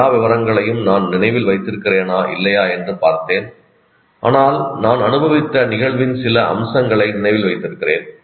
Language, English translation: Tamil, I went and saw a movie, whether I may not remember all the details, but I can remember some aspects of my, the aspects of the event that I experienced